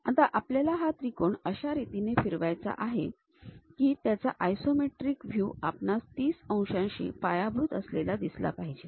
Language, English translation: Marathi, This triangle we would like to rotate it in such a way that isometric view we can visualize it with base 30 degrees